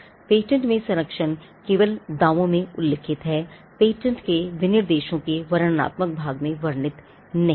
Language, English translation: Hindi, The protection in a patent is confined to what is mentioned in the claims and not what is mentioned in the descriptive part of the pattern specifications